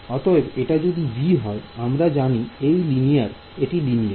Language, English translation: Bengali, So, if this is b and we know it is linear right